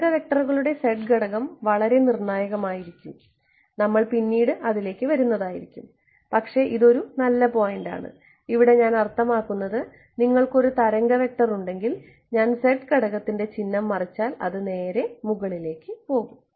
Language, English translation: Malayalam, The z component of the wave vectors will be very crucial we will come to it subsequently, but that is a good point I mean you have a wave vector that is going like this if I flip the sign of the z component it will just go up right that is was